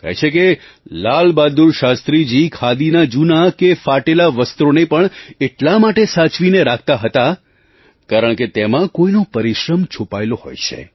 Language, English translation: Gujarati, It is said that LalBahadurShastriji used to preserve old and worn out Khadi clothes because some one's labour could be felt in the making of those clothes